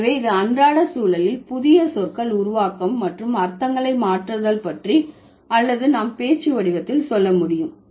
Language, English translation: Tamil, So, this was all about formation of new words and changing of meanings in the day to day context or we can say in the spoken form